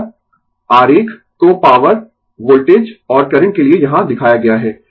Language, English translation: Hindi, And the diagram is shown here for the power voltage and current right